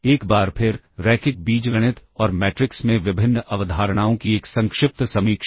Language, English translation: Hindi, Once again, a brief review of various concepts in linear algebra and matrices